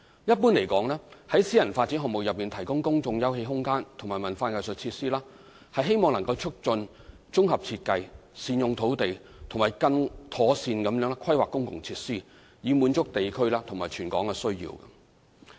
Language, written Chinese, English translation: Cantonese, 一般而言，在私人發展項目內提供公眾休憩空間及文化藝術設施，是希望能促進綜合設計、善用土地，以及更妥善規劃公共設施，以滿足地區或全港需要。, Generally speaking the incorporation of public open space and cultural and arts facilities in a private development is intended to achieve integrated design optimization of land use and better planning of public facilities to serve district or territorial need